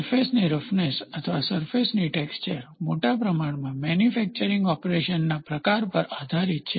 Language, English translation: Gujarati, So, surface roughness or surface texture depends to a large extent on the type of manufacturing operation